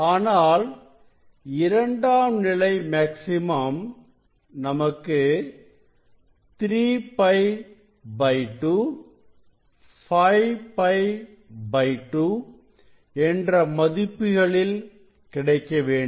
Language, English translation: Tamil, But secondary maxima we supposed to get at 3 pi by 2 3 by 2 pi; that means, 1